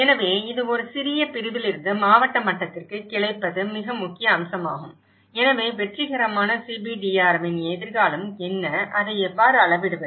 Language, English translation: Tamil, So, this is branching out from a small segment to a district level is a very important aspect, so what are the futures of the successful CBDRM, how do we measure it